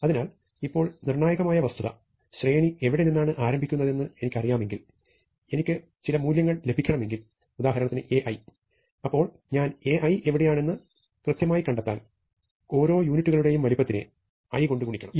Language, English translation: Malayalam, So, the crucial fact now is that if I know where the array starts, then if I want to get to some value A i, then I just have to multiply by i, the size of each unit of array to find out exactly where A i is